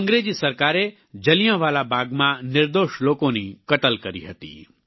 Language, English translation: Gujarati, The British rulers had slaughtered innocent civilians at Jallianwala Bagh